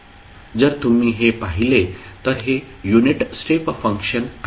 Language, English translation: Marathi, So if you see this, this is the unit step function